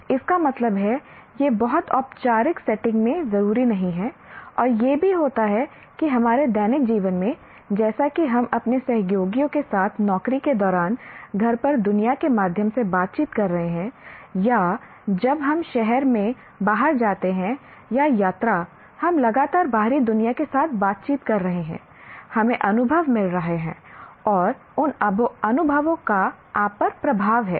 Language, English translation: Hindi, And also what happens in our daily life as we are interacting with the world through at home with our family members, at the job with our colleagues or when we go out into the town or travel, we are constantly interacting with the outside world or you are getting experiences and those experiences have an influence on you